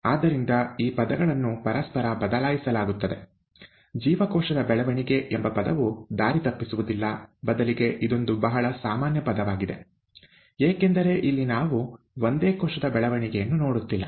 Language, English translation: Kannada, So these terms will be used interchangeably; cell growth is a very ‘common term’, rather misleading because we are not looking at the growth of a single cell here